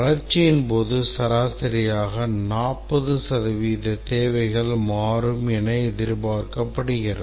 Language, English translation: Tamil, During the development, on the average, about 40% of the requirements are expected to change